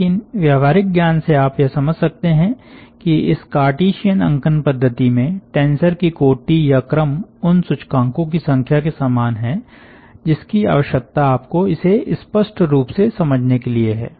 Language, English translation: Hindi, but at least from common sense you can appreciate that the order of tensor in this cartesian notation is like the number of indices that you are requiring to specify it